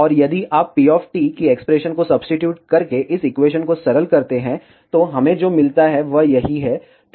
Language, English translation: Hindi, And if you simplify this equation by substituting the expression of p of t, what we get, is this